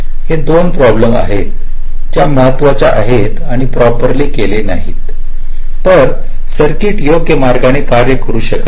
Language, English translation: Marathi, ok, this are the two problems which are important and if not handled or tackled properly, the circuit might not work in a proper way